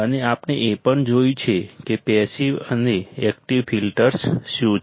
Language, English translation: Gujarati, So, and we have also seen what are the passive and active filters